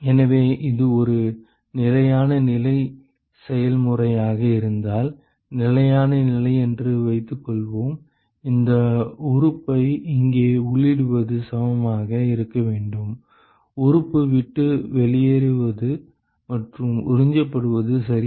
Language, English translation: Tamil, So, if it is a steady state process then whatever enters this element here should be equal to, what leaves the element plus whatever is absorbed ok